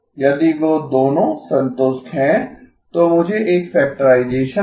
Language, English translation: Hindi, If those two are satisfied, then I get a factorization